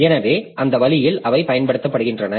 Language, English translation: Tamil, So, that way they are being used